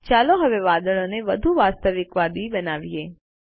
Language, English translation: Gujarati, Now lets make the clouds look more realistic